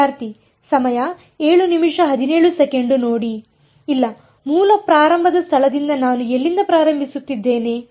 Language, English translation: Kannada, No where am I starting from what is the original starting point